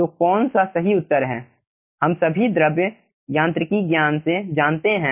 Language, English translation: Hindi, all of us aah know from the fluid mechanics knowledge